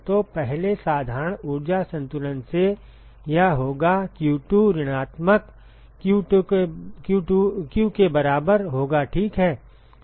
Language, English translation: Hindi, So, first from simple energy balance it will be q2 will be equal to minus q ok